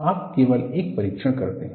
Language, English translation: Hindi, You do only one test